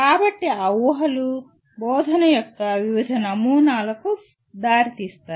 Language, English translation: Telugu, So those assumptions lead to different models of teaching